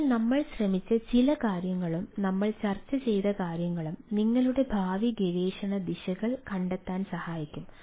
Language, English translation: Malayalam, so some of the things, what we have tried and a what we have discussed may be ah discussed, which which may ah help you in finding your ah future research directions